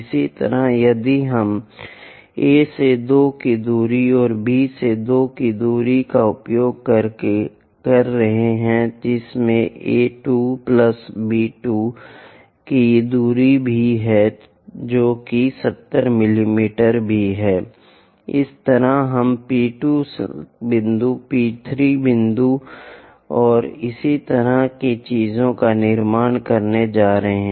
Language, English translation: Hindi, Similarly, if we are using A to 2 distance and B to 2 distance that is also consists of A 2 plus B 2 distance that is also 70 mm; in that way, we will be going to construct P 2 point P 3 point and so on things